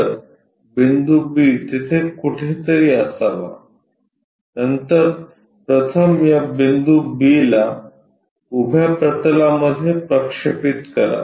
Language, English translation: Marathi, So, point B must be somewhere there, then project first of all this point B on to vertical plane